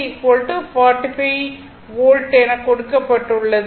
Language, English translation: Tamil, So, V 3 is equal to it is given 45 Volt